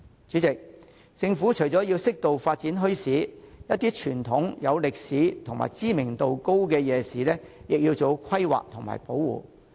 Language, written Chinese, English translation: Cantonese, 主席，政府除了應適度發展墟市外，亦應為一些傳統、有歷史價值和知名度高的夜市做好規劃及保護。, President the Government should not only moderately develop bazaars but also make good planning for traditional night markets with historical value and high reputation and conserve them